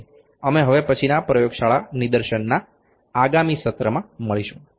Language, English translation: Gujarati, So, we will meet in the next session in the laboratory demonstration only as of now